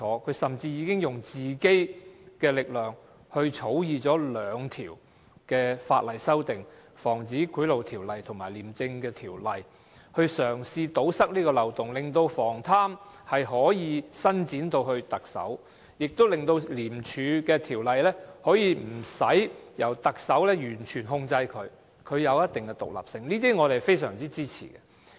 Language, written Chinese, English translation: Cantonese, 他甚至以自己的力量，就《防止賄賂條例》及《廉政公署條例》這兩項法例草擬了修訂，嘗試堵塞這漏洞，令防貪可以伸展至特首，亦令《廉政公署條例》無須完全受特首控制，令它有一定的獨立性，我們是非常支持的。, Using his own resources he has even drafted some amendments to the Prevention of Bribery Ordinance and the Independent Commission Against Corruption Ordinance in an attempt to plug this loophole and extend the long arm of anti - corruption to the Chief Executive . In this way ICAC will be able to avoid staying completely under the control of the Chief Executive and maintain a certain degree of independence . We are in strong support of these amendments